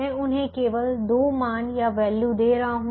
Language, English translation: Hindi, i am just giving two values to them